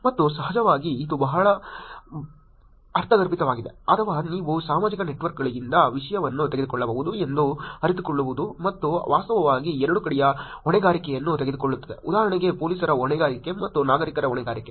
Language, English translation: Kannada, And of course, being it is probably very intuitive or to realize that you could take the content from the social networks, and actually took for accountability of both sides for example, accountability of police and accountability of citizens also